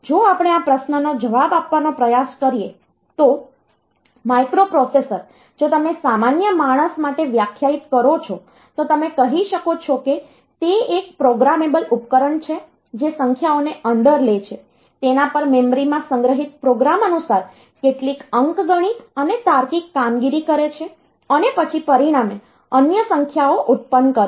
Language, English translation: Gujarati, So, a microprocessor if you define to a layman, you can say that it is a programmable device that takes in numbers, perform some then arithmetic and logical operations according to the program stored in the memory and then produces other numbers as a result